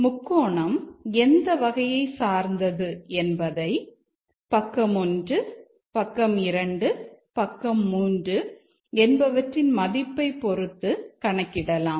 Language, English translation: Tamil, Determine triangle type and we have three parameters, side 1, side 2 and side three